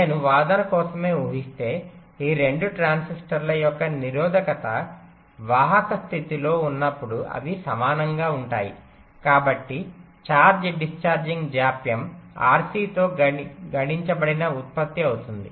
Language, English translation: Telugu, so if i just assume, for the sake of argument, the resistance of these two transistor when in the conducting state they are equal, so the charge discharging delay will be rc product of that